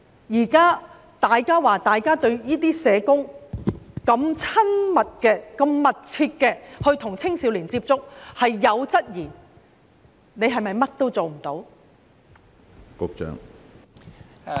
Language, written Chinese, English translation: Cantonese, 現時當大家對社工與青少年有密切接觸有所質疑時，局長是否甚麼都做不到？, When the public now query the close contact between social workers and young people is the Secretary unable to do anything?